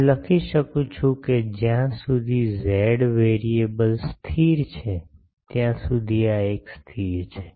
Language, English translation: Gujarati, I can write that this is a constant as far as z variable is constant